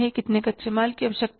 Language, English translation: Hindi, How much labor will be required